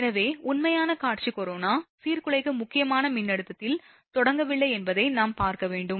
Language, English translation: Tamil, So, we have to see that actual visual corona, does not start at the disruptive critical voltage